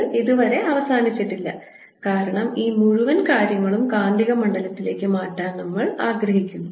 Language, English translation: Malayalam, and that point we are not yet done because we want to convert this whole thing into the magnetic field